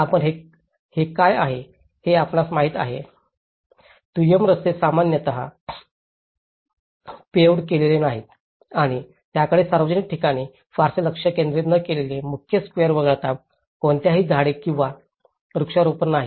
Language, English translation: Marathi, And which has been you know, you can see the secondary roads are not normally paved and they do not have any trees or plantation except for the main squares they have not concentrated much on the public spaces